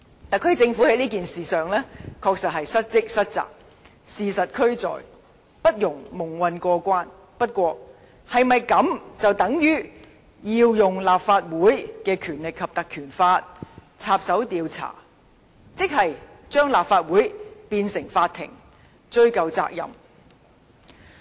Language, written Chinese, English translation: Cantonese, 特區政府在事件上確實失職失責，事實俱在，不容蒙混過關，但我們是否便要運用《立法會條例》插手調查，把立法會變成法庭，追查責任呢？, The Government has evidently failed in its duty in this incident and should not be allowed to get away with it . Nevertheless does that mean we have to interfere with the investigation by resorting to the Legislative Council Ordinance turning the Council into a court in order to find out who should be held responsible?